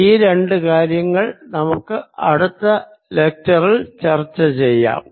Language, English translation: Malayalam, these two things will do in the next lecture